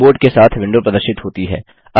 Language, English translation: Hindi, The window displaying the keyboard appears